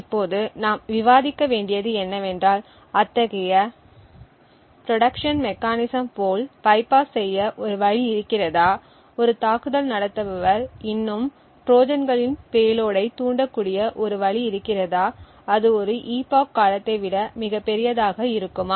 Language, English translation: Tamil, Now what we will now discuss is whether there is a way to bypass such protection mechanism, is there a way an attacker could still trigger Trojans payload at a time which is even greater than an epoch even with the resets that are present